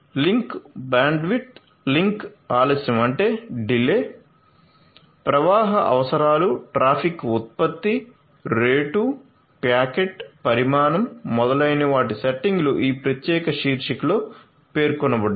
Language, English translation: Telugu, So, you know settings of the link bandwidth, link delay, flow requirements, traffic generation, rate, packet, size, etcetera all of these are specified in this particular paper so, use those settings